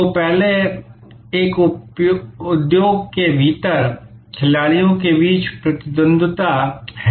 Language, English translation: Hindi, So, the first one is rivalry among players within an industry